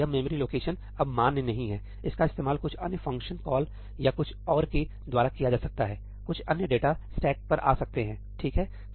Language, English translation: Hindi, This memory location is no longer valid, it may be used by some other function call or something else some other data could come on the stack over there, right